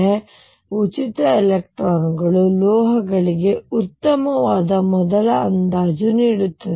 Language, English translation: Kannada, So, free electrons provide a reasonably good first approximation for metals